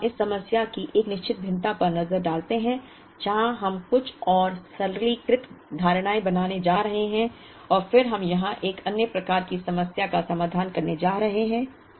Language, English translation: Hindi, Now, let us look at a certain variation of this problem where we are going to make some more simplistic assumptions and then we are going to solve another type of a problem here